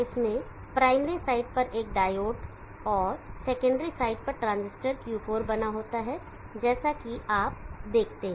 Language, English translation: Hindi, It consists of a diode on the primary side and draw circuit 4 as you see here on the secondary side